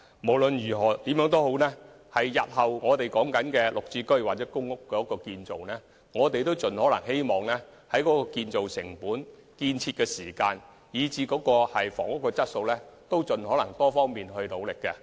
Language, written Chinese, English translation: Cantonese, 無論如何，日後興建"綠置居"或公屋單位時，我們會盡可能在建造成本、建造時間以至房屋質素等方面加倍努力。, In our future GSH or PRH projects we will put in greater efforts to make improvement in respect of construction cost construction time and housing quality